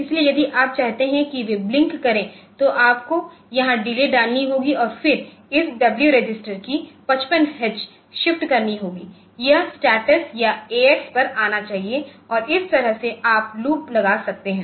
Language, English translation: Hindi, So, if you want that they should blink then you should put a delay here and then do a shifting of this W register from 55 x it should come to the status or a x and that way you can put a loop around this